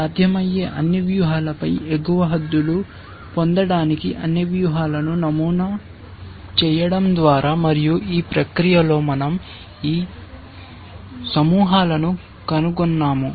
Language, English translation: Telugu, By sampling all strategies to get upper bounds on all possible strategies, and that in the process we found these clusters